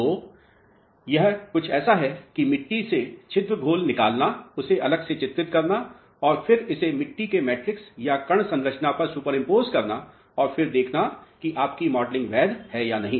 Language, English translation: Hindi, So, it is something like extracting the pore solution from the soil, characterizing it separately and then superimposing it on the matrix of the soil or the grain structure of the soil and then seeing whether your modelling is valid or not